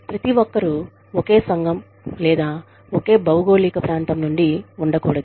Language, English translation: Telugu, Everybody, should not be from the same community, or same geographical region, for example